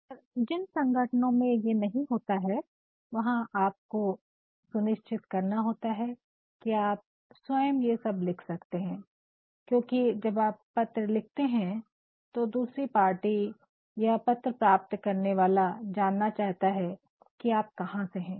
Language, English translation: Hindi, But then, organizations where you do not have this you are to ensure, that you can write it yourself because when you write a letter the other party or the receiver would like to know from where the letter has come